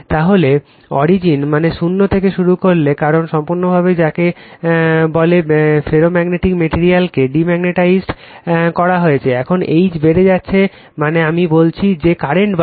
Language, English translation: Bengali, Then we will starting from the origin that 0, because we have totally you are what you call demagnetize the ferromagnetic material, now we are increasing the H that means, we are increasing the current I say right